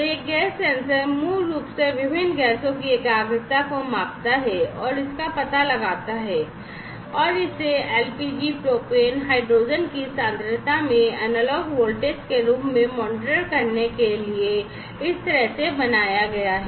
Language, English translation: Hindi, So, this gas sensor basically measures and detects the concentration of the different gases and this has been made in such a way to monitor the concentration of LPG, propane and hydrogen in the form of analog voltage, right